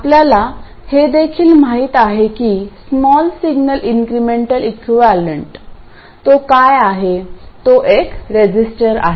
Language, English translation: Marathi, We also know that the small signal incremental equivalent, what is it